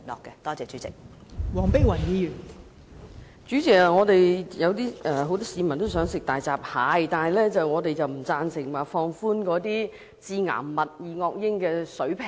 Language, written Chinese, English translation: Cantonese, 代理主席，雖然很多市民想吃大閘蟹，但我們不贊成降低致癌物質二噁英的水平。, Deputy President although many people are very eager to eat hairy crabs we do not agree to relax the permitted level of carcinogenic dioxins